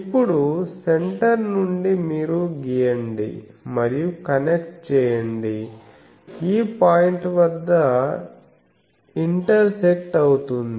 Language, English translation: Telugu, Now, from the center, you draw and connect this intersection point